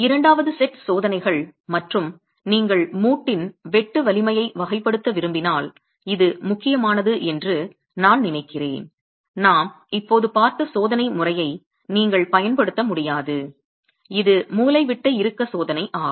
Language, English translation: Tamil, The second set of tests, I think it's important if you want to characterize the sheer strength of the joint you cannot use the you cannot use the test method that we just saw, which is the diagonal tension test